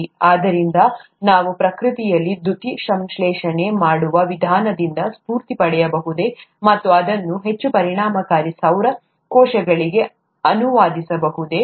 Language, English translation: Kannada, So can we get inspiration from the way photosynthesis is done in nature, and translate it to more efficient solar cells